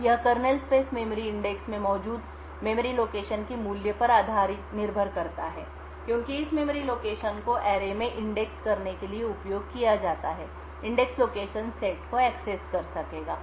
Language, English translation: Hindi, Now depending on the value of the memories present in this kernel space memory location since this memory location is used to index into the array the indexed location may access one of these multiple sets